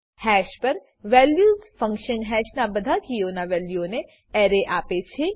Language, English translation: Gujarati, values function on hash returns an array of values for all keys of hash